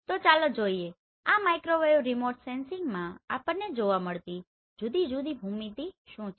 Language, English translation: Gujarati, So let us see what are the different viewing geometry we use in this microwave remote sensing